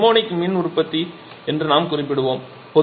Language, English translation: Tamil, So, this is the therminioc power generation